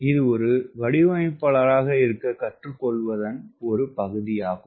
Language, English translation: Tamil, ok, that is the part of learning to be an designer, to be a designer